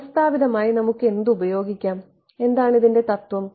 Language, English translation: Malayalam, No, systematically what can we use, what is the principle